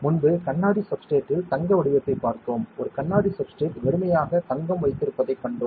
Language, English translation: Tamil, Previously we saw gold patterning on glass substrate; we saw a glass substrate that was blank deposited with gold